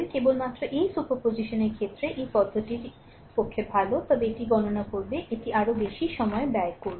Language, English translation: Bengali, Only thing is that superposition case where this approach is good, but it will compute your, it will consume your more time right